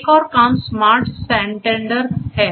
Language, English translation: Hindi, Another work is the SmartSantander